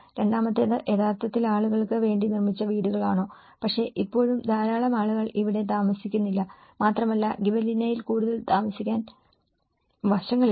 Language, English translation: Malayalam, The second one is actually, is it is the houses which they are made for the people but still not many people are living here and not much of social aspect is there in Gibellina